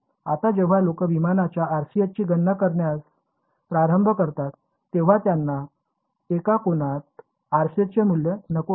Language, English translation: Marathi, Now when people start calculating the RCS of some aircraft they do not want the value of the RCS at one angle